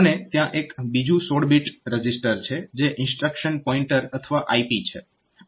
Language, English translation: Gujarati, And there is another 16 bit register which is the instruction pointer or IP